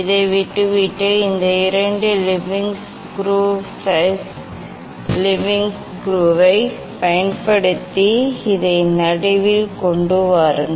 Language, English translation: Tamil, leaving this one, you use these two leveling screw base leveling screw to bring this one at the middle